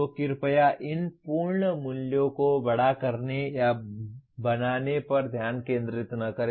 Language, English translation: Hindi, So please do not focus on or making these absolute values large